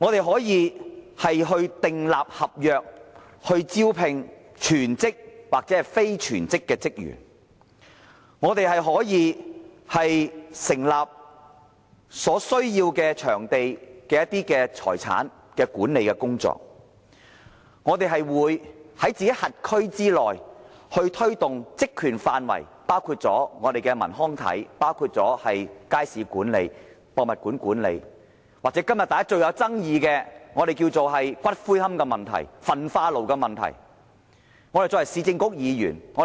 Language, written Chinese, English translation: Cantonese, 市政局可以就招聘全職或非全職的職員訂立合約，可以執行成立所需場地的財產的管理工作，可以在其轄區內推動其職權範圍內，包括文康體、街市管理、博物館管理的工作，又或是今天最具爭議的骨灰龕、焚化爐等問題。, The former Urban Council was authorized to recruit full - time and part - time staff and entered into contracts with them . It could deliver the asset management work required in setting up required venues . It could deliver work within its terms of reference including sports matters management of markets and museums as well as the current controversial issues concerning columbarium and incinerators